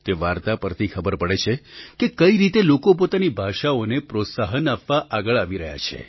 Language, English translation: Gujarati, After reading that story, I got to know how people are coming forward to promote their languages